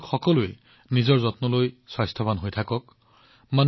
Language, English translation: Assamese, You all take care of yourself, stay healthy